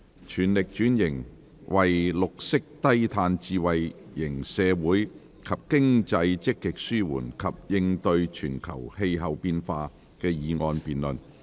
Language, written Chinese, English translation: Cantonese, "全力轉型為綠色低碳智慧型社會及經濟積極紓緩及應對全球氣候變化"的議案辯論。, The motion debate on Fully transforming into a green and low - carbon smart society and economy and proactively alleviating and coping with global climate change